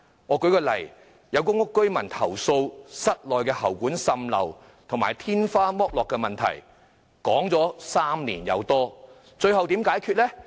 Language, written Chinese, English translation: Cantonese, 我舉一個例子，有公屋居民投訴室內喉管滲漏及天花板剝落的問題長達3年多，最後問題如何解決呢？, Let me cite an example . A public housing resident had complained about leakage of water from the pipes and spalling of the ceiling in his flat for some three years long . How was the problem resolved in the end?